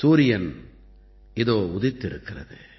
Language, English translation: Tamil, Well, the sun has just risen